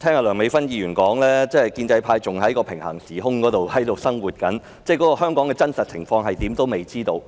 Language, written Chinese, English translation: Cantonese, 梁美芬議員的說法，顯示建制派真的仍活於平行時空，尚未知道香港的真實情況如何。, Dr Priscilla LEUNGs remark has shown that Members from the pro - establishment camp are actually still living in a parallel universe not knowing what is really going on in Hong Kong